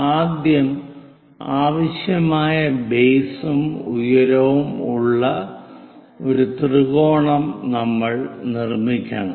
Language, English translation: Malayalam, First, we have to construct a triangle of required base and height